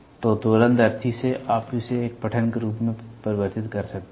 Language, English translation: Hindi, So, from the oscilloscope, you can convert it into a reading form